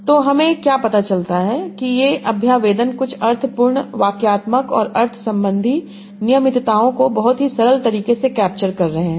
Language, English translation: Hindi, So what is we found that these representations are capturing some meaningful syntactic and semantic regularities in a very, very simple manner